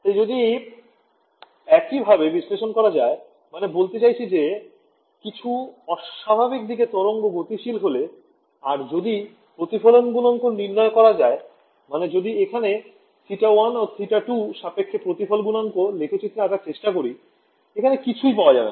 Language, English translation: Bengali, So, if you put this put your do the same analysis that we did right toward I mean wave travelling at some non normal direction and calculate the reflection coefficients what you will find is that if I plot the reflection coefficient over here versus theta 1 and theta 2 are over here what happens is that you get nulls like this ok